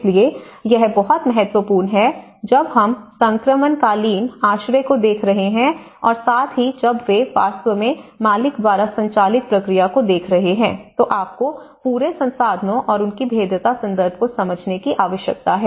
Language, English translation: Hindi, So, this is very important when we are looking at the transitional shelter and as well as when they are actually looking at the owner driven process, you need to understand the whole resources and their vulnerability context itself